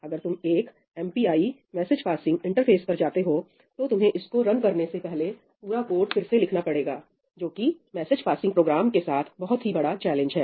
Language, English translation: Hindi, If you go to something like MPI message passing interface, you have to rewrite the entire code before you can run it in parallel, that is a challenge with message passing programs